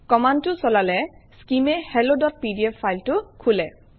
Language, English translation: Assamese, On issuing this command, skim opens the file hello.pdf